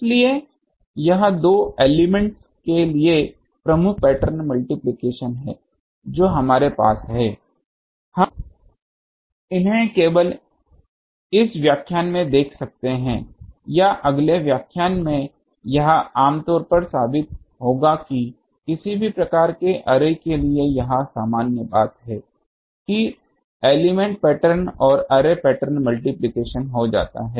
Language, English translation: Hindi, So, this is principal pattern multiplication for two elements we have we are seeing these just later I may be in this lecture or in the next lecture will prove it generally, that for any type of array this is the general thing that element pattern and array patterns gets multiplied